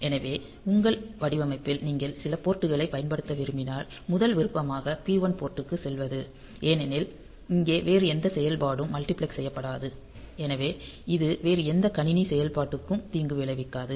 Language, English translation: Tamil, So, if in your design if you want to use some port, the first option is to go for the port P 1 because it here no other function will be multiplexed; so, it should not harm any other system operation